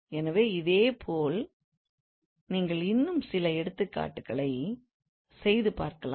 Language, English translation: Tamil, So similarly you can work out some more examples